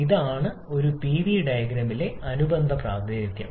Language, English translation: Malayalam, And this is the corresponding representation on a Pv plane